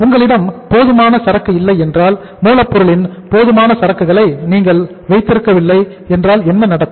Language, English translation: Tamil, If you do not have the sufficient inventory of the, if you do not keep the sufficient inventory of the raw material what will happen